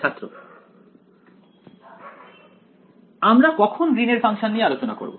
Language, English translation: Bengali, When will we will talk about Green’s function